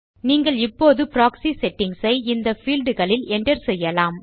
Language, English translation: Tamil, You can now enter the the proxy settings in these fields